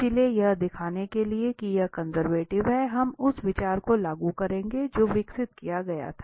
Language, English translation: Hindi, So, to show that this is conservative, we will apply the idea which was developed now